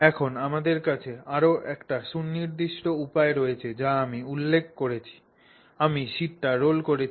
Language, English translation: Bengali, So, therefore now we have a much more specific way in which I specify that I have rolled the sheet